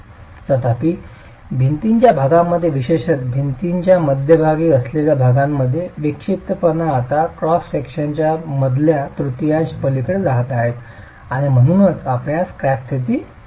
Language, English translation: Marathi, However, in regions of the wall, particularly the middle portions of the wall, the eccentricity is now going to be beyond the middle third of the cross section and so you will have cracked conditions